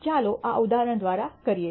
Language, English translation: Gujarati, Let us do this through an example